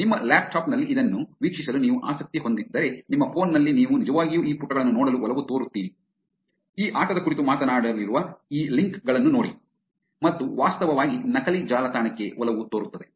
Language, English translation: Kannada, If you are interested in watching it in your laptop, in your phone you tend to actually look at these pages, look at these links which talks about this game and tend to actually taking into a fake website